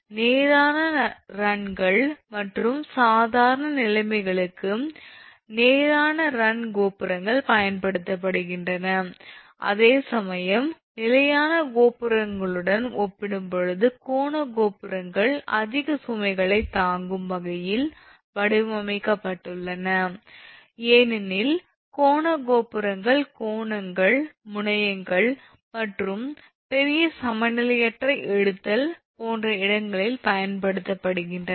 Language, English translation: Tamil, So, the straight run towers are used for straight runs and normal conditions whereas, the angle towers are designed to withstand heavy loading as compared to the standard towers because angle towers are used in angles, terminals and other points where a large unbalanced pull may be thrown on the support